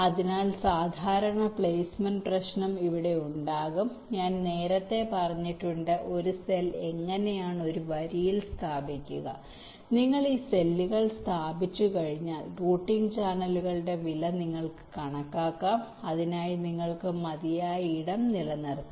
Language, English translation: Malayalam, has i mention again earlier how to place a cell into one of the rows and once you are place this cells you can estimates the routing channels cost and you can keep adequate space for that